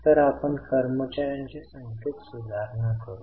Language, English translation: Marathi, So, we will do the correction in the number of employees